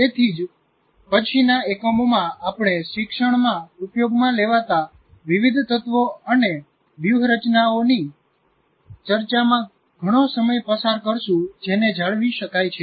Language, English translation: Gujarati, That's why in the later units we are going to spend a lot of time on various elements and strategies used in teaching that can lead to retention